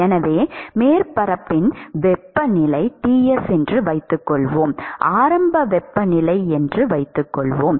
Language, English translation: Tamil, So, supposing we assume that the temperature of the surface is Ts, and if we assume that the initial temperature